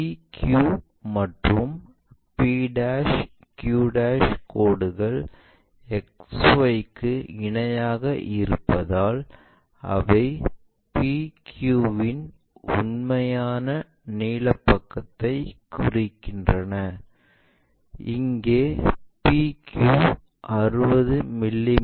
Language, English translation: Tamil, As lines p q and p' q' are parallel to XY, they represent true length side of PQ; here PQ is 60 mm